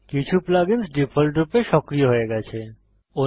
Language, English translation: Bengali, Some plug ins are activated by default